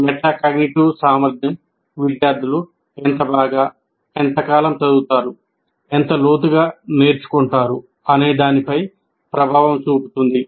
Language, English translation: Telugu, So metacognitive ability affects how well and how long students study, how much and how deeply the students learn